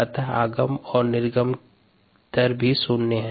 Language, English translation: Hindi, therefore, this rate is zero